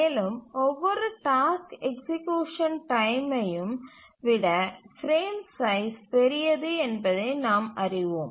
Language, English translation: Tamil, And that's the reason a frame size should be larger than the largest task execution time